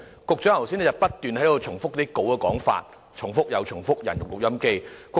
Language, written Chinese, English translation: Cantonese, 局長剛才不斷重複講稿內容，猶如"人肉錄音機"。, The Secretary has kept repeating the contents of his script just like a human recorder